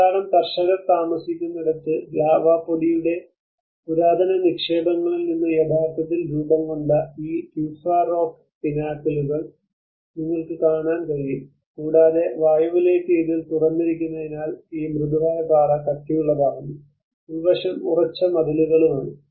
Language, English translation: Malayalam, Where lot of peasants live and you can see these tufa rock pinnacles which are actually formed from the ancient deposits of the lava dust, and because of the exposure to the air and these soft rock hardens so that the interiors have firm walls